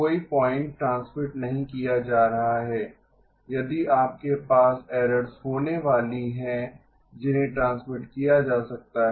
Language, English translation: Hindi, No point transmitting if you are going to have errors that can be transmitted